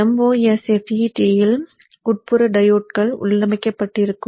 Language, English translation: Tamil, The MOSFETs will have internal body diodes in build